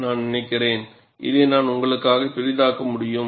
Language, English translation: Tamil, And I think, I can magnify this for you